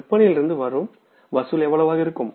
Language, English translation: Tamil, Collection from sales is going to be how much